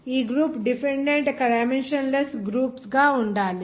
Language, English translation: Telugu, This group should be the dependant dimensionless groups